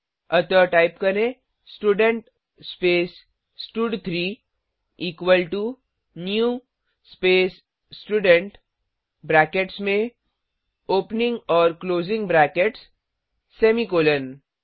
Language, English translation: Hindi, So type Student space stud3 equal to new space Student within brackets opening and closing brackets semicolon